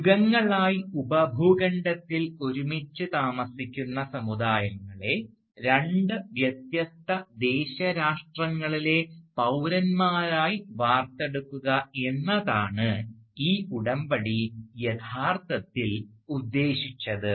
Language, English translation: Malayalam, And, it was basically a pact what the pact actually meant was a carving up of the communities living together in the subcontinent for ages, carving them up into citizens of two distinct nation states